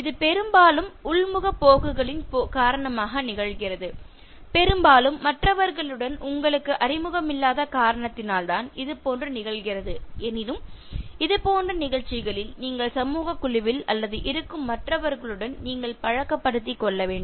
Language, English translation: Tamil, This happens often because of introverted tendencies, often because of your own unfamiliarity with other people but these occasions when you are in social group or the ones in which you need to become familiar with other people